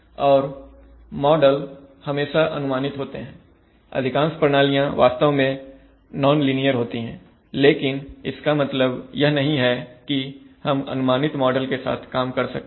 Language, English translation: Hindi, And models are always approximate, most systems are actually nonlinear but that does not mean that we can work with approximate